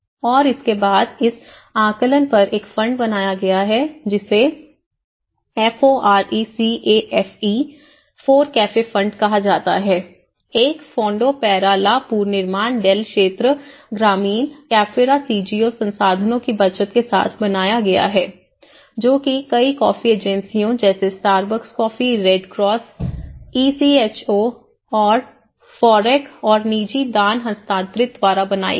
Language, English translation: Hindi, And that is then following upon this assessments and all, a fund has been created is called FORECAFE fund is a Fondo para la reconstruction del area rural cafetera has been created with the savings of the CGOs, resources transferred from FOREC and private donations which has been made by like many coffee agencies like Starbucks coffee, Red Cross, ECHO, and others